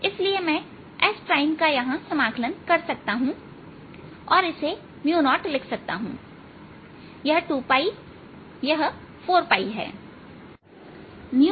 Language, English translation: Hindi, so i can do the s prime integral right over here and write this as mu zero o